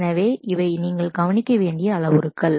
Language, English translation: Tamil, So, these are the parameters that you must look at